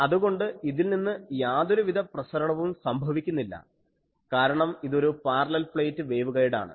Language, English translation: Malayalam, So, it is there is no radiation from this, this is a parallel plate waveguide